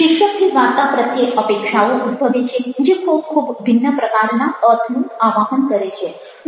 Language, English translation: Gujarati, the title generates expectations about the story, provokes meaning of a very, very different kind